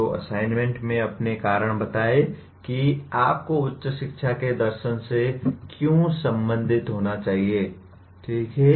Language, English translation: Hindi, So the assignment is give your reasons why you should be concerned with philosophy of higher education, okay